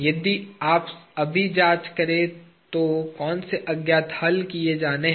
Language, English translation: Hindi, If you examine now, what are the unknowns to be solved